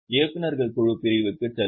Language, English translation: Tamil, Go to the board of directors section